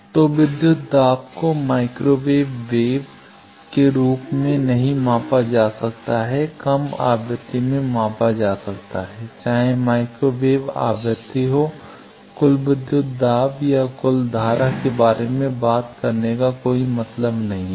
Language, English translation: Hindi, So, voltage also cannot be measured as total micro wave frequency in low frequency it can be done, whether microwave frequency, there is no point talking about total voltage or total current